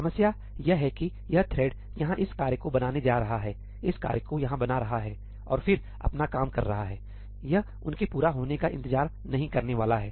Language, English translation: Hindi, The problem is that this thread is going to create this task here, create this task here and then carry on doing its work; it is not going to wait for them to complete